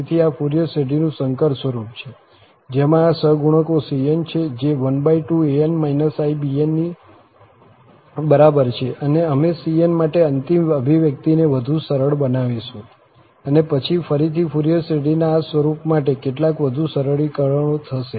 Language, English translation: Gujarati, So, that is the complex form of this Fourier series with having these coefficients the cn, half an minus ibn, which is equal to, so, we will further simplify the final expression for c1, cn and also then again, some more simplifications will take place for this form of Fourier series